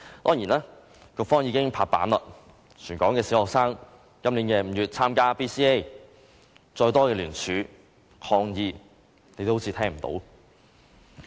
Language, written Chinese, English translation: Cantonese, 當然，局方已經拍板，全港小學將於今年5月參加 BCA， 再多的聯署和抗議也仿如聽不到般。, Certainly the Education Bureau has decided that all primary schools in Hong Kong will participate in BCA in May this year and even if more people signed the petition or protested it will turn a deaf ear to them